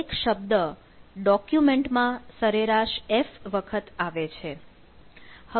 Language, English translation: Gujarati, each what word occurs f times on the document on an average